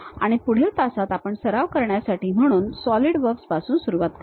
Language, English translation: Marathi, And in the next class, we will begin with Solidworks as a practice thing